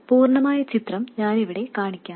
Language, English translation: Malayalam, I will show the complete picture here